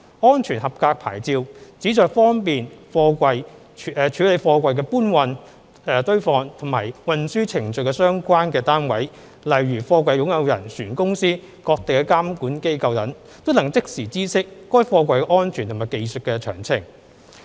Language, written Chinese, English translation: Cantonese, "安全合格牌照"旨在方便處理貨櫃的搬運、堆放或運輸程序的各相關單位，例如貨櫃擁有人、船公司、各地監管機構等，都能即時知悉該貨櫃的安全和技術詳情。, The SAP seeks to enable all relevant parties involved in the lifting stacking or transport of containers such as container owners shipping companies and oversight authorities in various places to know the safety and technical details of the containers concerned